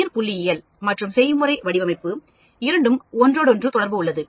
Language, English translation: Tamil, Biostatistics and design of experiments are interrelated with one another